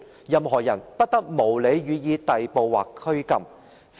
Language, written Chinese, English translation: Cantonese, 任何人不得無理予以逮捕或拘禁。, No one shall be subjected to arbitrary arrest or detention